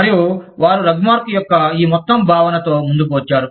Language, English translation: Telugu, And, they came up with, this whole concept of Rugmark